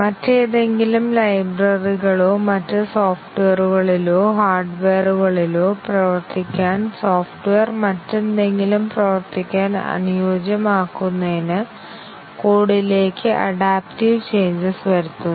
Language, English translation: Malayalam, Adaptive changes are made to the code to make it to work with some other libraries or some other software or hardware, to adapt the software to work with something else